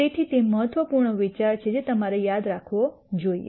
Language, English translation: Gujarati, So, that is the important idea that that you should remember